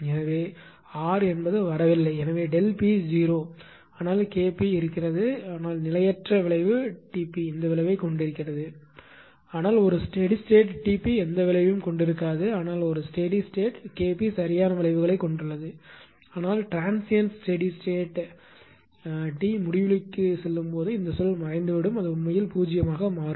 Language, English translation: Tamil, So, r was not coming because delta p was 0, but K p was there, but for transient when transient response is taken T p has this effect, but a steady state T p has no effect right, but only a steady state, K p has it effects right, but as ah transient your what you call that when t tends to infinity means this term will vanish actually it will become 0 right